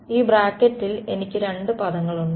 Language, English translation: Malayalam, I have two terms right in this bracket